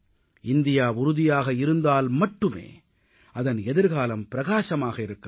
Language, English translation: Tamil, When India will be fit, only then India's future will be bright